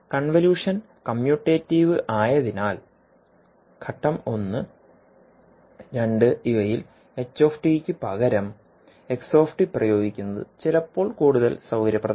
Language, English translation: Malayalam, Now since the convolution is commutative it is sometimes more convenient to apply step one and two to xt instead of ht